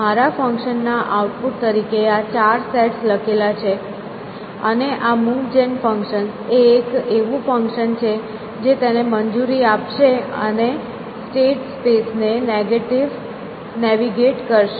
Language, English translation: Gujarati, So, it is the written this four sets as my output to the function and this move gen function is a function which will allow it and navigate the state space